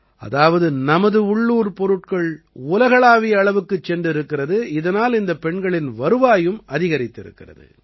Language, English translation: Tamil, That means our local is now becoming global and on account of that, the earnings of these women have also increased